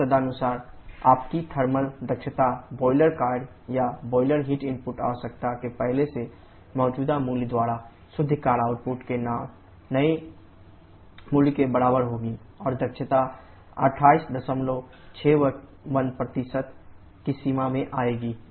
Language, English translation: Hindi, So, accordingly of thermal efficiency will be equal to the new value of net work output by the earlier existing value of the boiler work or boiler heat input requirement and efficient will be come in the range of 28